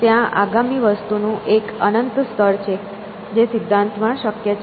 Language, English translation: Gujarati, So, there is an infinite level of next thing which is possible in principle